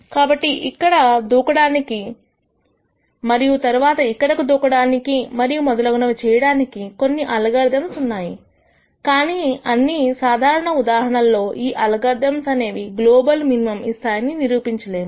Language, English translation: Telugu, So, there are algorithms which will let you jump here and then maybe will jump here and so on, but these are all algorithms where it is very difficult in a general case to prove that I will go and hit the global minimum